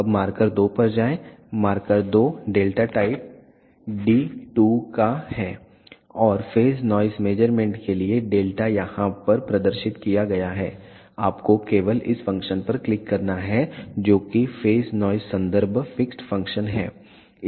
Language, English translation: Hindi, Now, go to marker 2, market 2 is of delta type d 2 and the delta is displayed over here for phase noise measurement all you have to do is click on this function which is phase noise reference fixed function